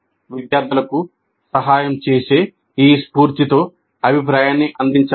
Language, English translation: Telugu, And feedback must be provided in this spirit of helping the students